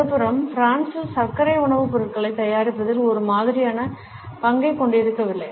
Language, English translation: Tamil, On the other hand in France sugar does not have the similar role in the preparation of food items